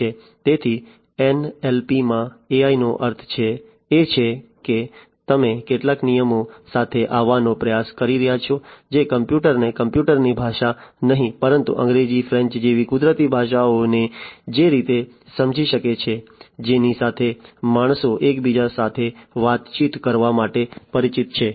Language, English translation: Gujarati, So, AI in NLP means what that you are trying to come up with some rules, etcetera, which can make the computer understand not the computers language, but the way the natural languages like English, French, etcetera with which with which humans are conversant to communicate with one another